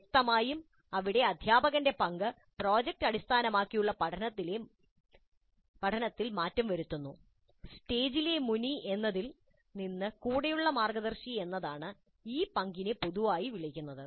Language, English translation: Malayalam, Obviously the role of the instructor here changes in project based learning what is generally called as a stage on the stage to a guide on the side